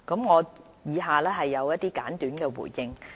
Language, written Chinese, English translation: Cantonese, 我以下有些簡短的回應。, I will make some brief replies as follow